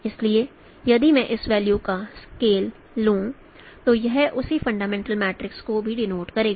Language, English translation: Hindi, So if I scale these values, you will also, it will also denote the same fundamental matrix